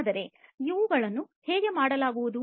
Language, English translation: Kannada, But how these are going to be done